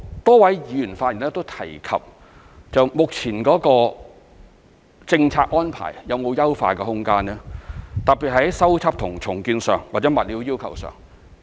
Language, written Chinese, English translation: Cantonese, 多位議員發言時都問及目前的政策安排有否優化的空間，特別是在修葺和重建上或在物料要求上。, A number of Members asked in their speeches if the current policy has rooms for improvement especially in terms of repair and rebuilding or the requirement on building materials used